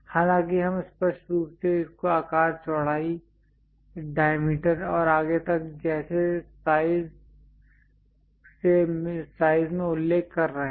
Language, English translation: Hindi, Though we are clearly mentioning it in terms of size like width height diameter and so on